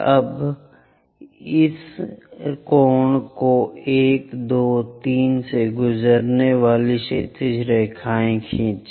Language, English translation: Hindi, Now draw horizontal lines passing through 1, 2, 3 on this cone